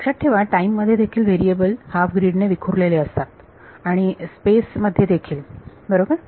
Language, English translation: Marathi, Remember, in time also the variables are staggered by half a grid and in space also right